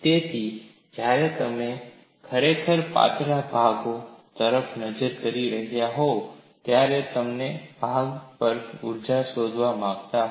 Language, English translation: Gujarati, So, when you are really looking at slender members, you want to find out energy on that member